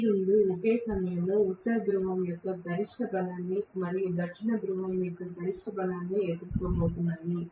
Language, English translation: Telugu, Both of them are going to face the maximum strength of North Pole and maximum strength of South Pole at the same instant